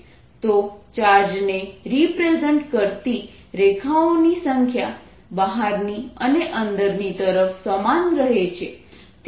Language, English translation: Gujarati, so the number of lines, if i take number of lines representing the charge, remains the same outside and inside